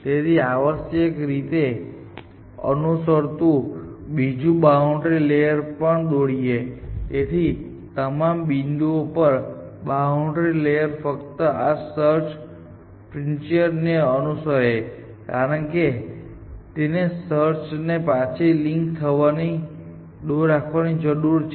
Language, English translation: Gujarati, It is got another boundary layer following it essentially, so at all points a boundary layer just follows this search frontier because it needs keep the search from leaking back